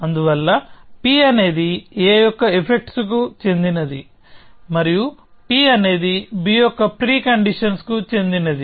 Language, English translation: Telugu, So, p is a P belongs to effects of a and p belongs to the pre conditions of b